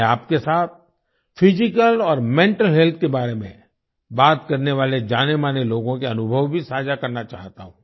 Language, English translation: Hindi, I also want to share with you the experiences of wellknown people who talk about physical and mental health